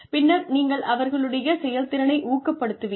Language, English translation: Tamil, Then, you encourage performance